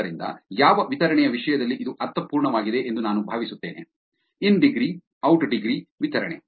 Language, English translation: Kannada, So, I hope that makes sense in terms of what distribution is in degree, out degree distribution